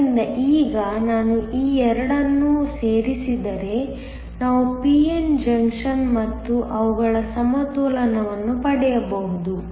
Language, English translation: Kannada, So, now if I join these 2, we just we can get the p n junction and their equilibrium